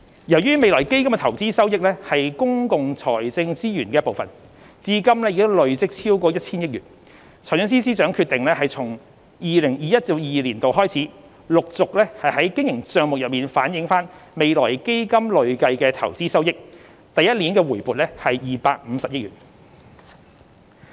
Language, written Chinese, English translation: Cantonese, 由於未來基金的投資收益是公共財政資源的一部分，至今已累積超過 1,000 億元，財政司司長決定從 2021-2022 年度開始，陸續在經營帳目中反映未來基金累計的投資收益，首年回撥250億元。, The investment return of FF forms an integral part of public financial resources and has accumulated to more than 100 billion . The Financial Secretary has therefore decided to reflect the cumulative investment return of FF in the Operating Account on a progressive basis starting from 2021 - 2022 with 25 billion brought back in the first year